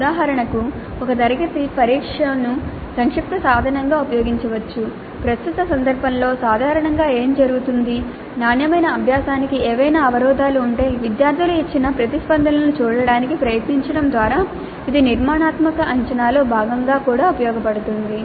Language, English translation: Telugu, For example, a class test could be used as a summative instrument which is what happens typically in current context but it also could be used as a part of the formative assessment by trying to look at the responses given by the students to determine if there are any impediments to quality learning